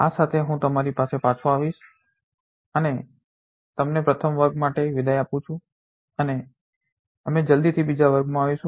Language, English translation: Gujarati, With this let me come back to you and say you goodbye for the first class and we will be back in the second class soon